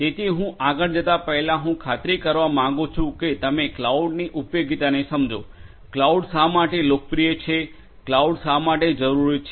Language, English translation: Gujarati, So, before I go any further I would like to you know make sure that you understand the utility of cloud, why cloud is so popular, why cloud is necessary